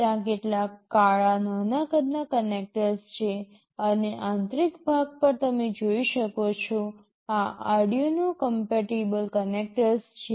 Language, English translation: Gujarati, There are some black smaller sized connectors and at the internal part you can see, these are the Arduino compatible connectors